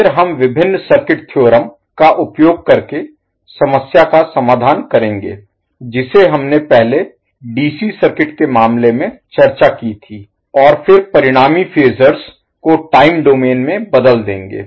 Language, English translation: Hindi, Then we will solve the problem using a various circuit theorems which we discussed previously in case of DC circuits and then transform the resulting phasor to the time domain back